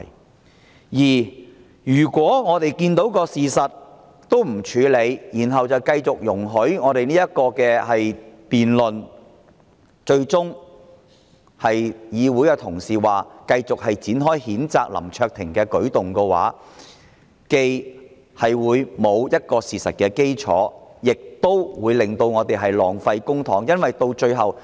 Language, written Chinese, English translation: Cantonese, 第二，如果我們不理事實，然後繼續辯論，最終同意繼續展開譴責林卓廷議員，這舉動不但欠缺事實基礎，亦會浪費公帑。, Second if we disregard the facts continue to engage in the debate and ultimately agree to censure Mr LAM Cheuk - ting we will be taking a move that not only lacks factual foundation but also wastes public money